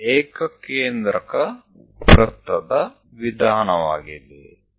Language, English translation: Kannada, So, concentric circles method